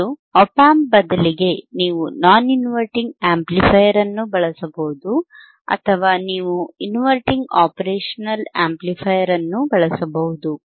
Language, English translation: Kannada, And instead of ian op amp, you can use non inverting operational amplifier or you can use the inverting operational amplifier